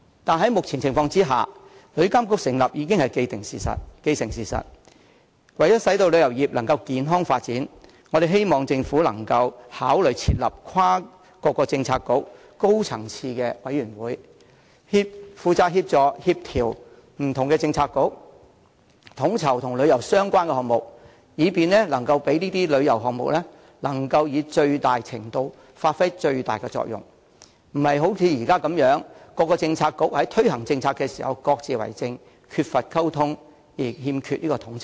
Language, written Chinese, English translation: Cantonese, 可是，在目前情況下，旅遊監管局的成立已是既成事實，為使旅遊業可以健康發展，我們希望政府考慮設立跨政策局的高層次委員會，負責協助、協調不同政策局，統籌與旅遊相關的項目，以便這些旅遊項目能以最大程度發揮最大作用，而非像現時般，各政策局在推行政策時各自為政，缺乏溝通而欠缺統籌。, However under the current circumstances the setting up of TIA is an established fact . In order to ensure the healthy development of the tourism industry we hope that the Government would consider establishing a cross - bureaux and high - level committee to assist and coordinate the work of different Policy Bureaux in taking forward various tourism - related projects so that these projects will achieve the greatest effectiveness to the largest extent . Various Policy Bureaux should not be allowed to maintain the existing practice of going their own way without communication and coordination during policy implementation